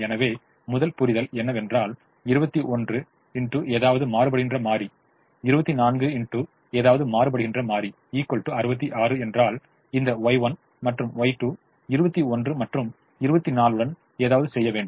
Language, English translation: Tamil, so the first understanding is: if twenty one into something plus twenty four into something is also equal to sixty six, then this y one and y two have something to do with twenty one and twenty four